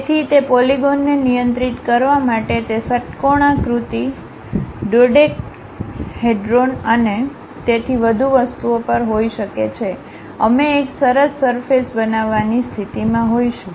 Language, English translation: Gujarati, So, based on controlling those polygons, it can be hexagon, dodecahedrons and so on things, we will be in a position to construct a nice surface